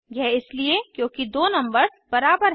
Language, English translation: Hindi, This is because the two numbers are equal